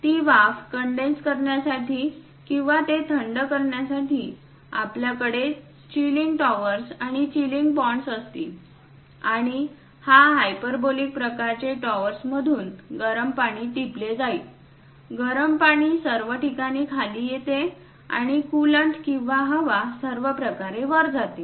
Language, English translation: Marathi, To condense that steam or to cool that, we will have chilling towers and chilling ponds; and hot water will be dripped from these hyperbolic kind of towers, the hot water comes down all the way and coolant or air goes all the way up